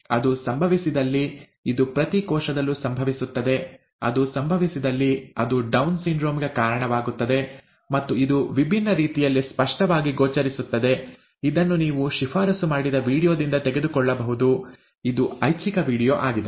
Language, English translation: Kannada, If that happens, this happens in each cell, if that happens, it results in Down syndrome, and it manifests in different ways that you can pick up from the video that was recommended, that was suggested, it is an optional video